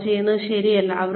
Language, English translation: Malayalam, Are they not doing it right